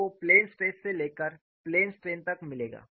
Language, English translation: Hindi, You will get from plane stress to plain strain